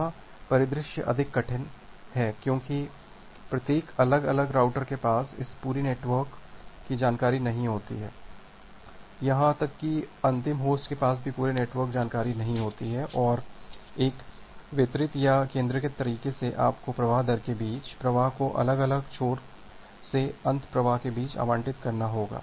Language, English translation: Hindi, The scenario is much more difficult here because every individual router do not have this entire network information, even the end host do not have that entire network information and a distributed or in a decentralized way you have to allocate the flows among flow rates among different end to end flows